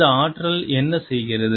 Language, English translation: Tamil, what does this energy do